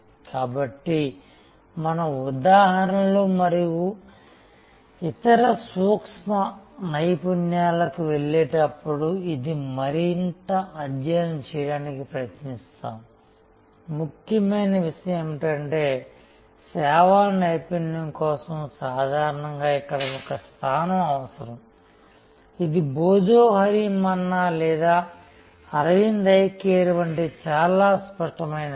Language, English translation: Telugu, So, this is what we will try to study further as we go to examples and other nuances, important point is that service excellence needs usually a position here, which is very crisp like Bhojohori Manna or Aravind Eye Care